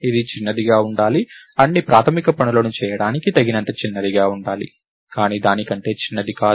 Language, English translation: Telugu, So, it has to be small, it has to be small enough to do all the basic things, but not any smaller than that